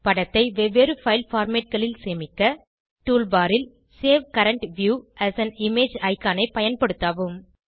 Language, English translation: Tamil, To save the image in different file formats: Use Save current view as an image icon in the Tool bar